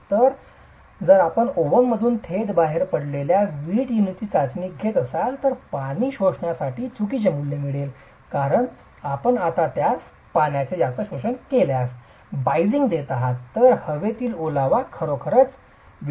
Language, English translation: Marathi, So, if you were to test that brick unit coming directly out of the oven, you will get a wrong value for the water absorption because you are biasing it now as having more water absorption whereas the moisture in the air will actually be absorbed by the brick anyway